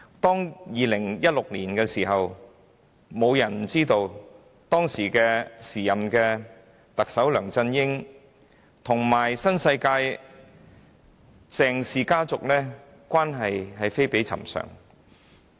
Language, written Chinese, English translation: Cantonese, 在2016年，沒有人不知道時任特首的梁振英與新世界鄭氏家族的關係非比尋常。, In 2016 everyone knew the then Chief Executive LEUNG Chun - ying had a most extraordinary relationship with the CHENGs of NWD